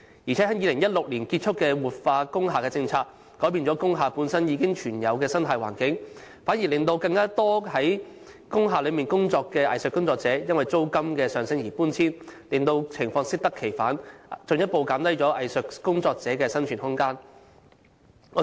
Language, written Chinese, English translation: Cantonese, 再者，在2016年結束的活化工廈政策改變了工廈本身已存有的生態環境，反而令更多本身在工廈工作的藝術工作者因租金上升而搬遷，令情況適得其反，進一步減低藝術工作者的生存空間。, Moreover the policy of revitalizing industrial buildings which ended in 2016 had already changed the existing ecology of industrial buildings . Quite the contrary a lot of arts practitioners operating in industrial buildings had to move out of their premises due to a rise in rentals . It was quite a backfire as the room of survival of arts practitioners was further constricted